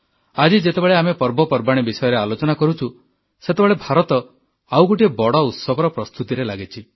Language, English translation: Odia, Today, as we discuss festivities, preparations are under way for a mega festival in India